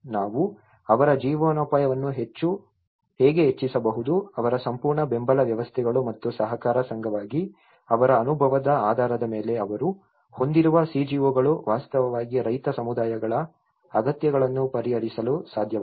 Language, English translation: Kannada, They focused on how we can enhance their livelihoods, their the whole support systems and based on their experience as an co operative society the CGOs they have actually could able to address the peasant communities needs